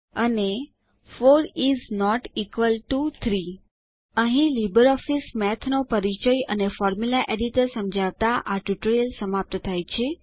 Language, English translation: Gujarati, And 4 is not equal to 3 This brings us to the end of this tutorial on LibreOffice Math Introduction and Formula Editor